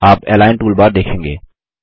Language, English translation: Hindi, You will see the Align toolbar